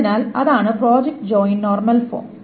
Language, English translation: Malayalam, So that is the project joint normal form